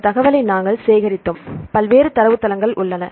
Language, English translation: Tamil, So, this information we have collected the information, there are various databases